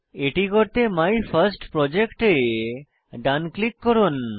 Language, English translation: Bengali, To do so, right click on MyFirstProject